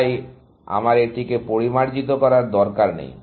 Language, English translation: Bengali, So, I do not really need to refine that